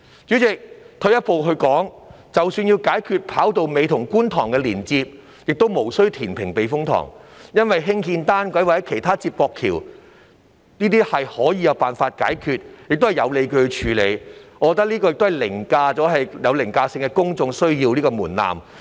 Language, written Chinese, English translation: Cantonese, 主席，退一步說，即使要解決"跑道尾"與觀塘的連接問題，亦無需填平避風塘，因為只要興建單軌或其他連接橋便有辦法解決，而且有理有據，我覺得這個方案可通過有凌駕性的公眾需要的門檻。, President taking a step back even if we have to address the issue of the connectivity between the tip of the runway and Kwun Tong there is no need to reclaim the typhoon shelter because this can be solved simply by constructing a monorail or other transportation links which is justified . I believe this option can pass the threshold of overriding public need